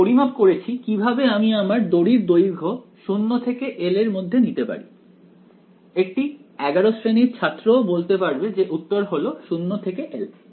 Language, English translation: Bengali, I have measured how to speak the length of the string between 0 and l right even a class eleven student will say answer is 0 to l right